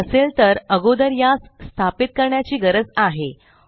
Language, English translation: Marathi, If you do not have it, you need to install it first